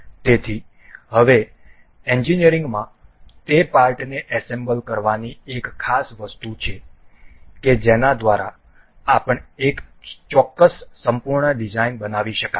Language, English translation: Gujarati, So, now there is an important thing in engineering to assemble those parts to make one particular full design that may be used